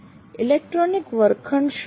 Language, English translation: Gujarati, What is in electronic classroom